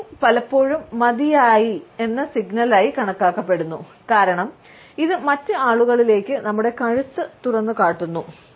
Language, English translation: Malayalam, Tilting the head is often considered to be a sufficient signal, because it exposes our neck to other people